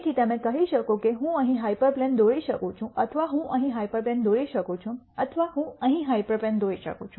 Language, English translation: Gujarati, So, you could say I could draw a hyperplane here or I could draw hyperplane here or I could draw a hyperplane here and so on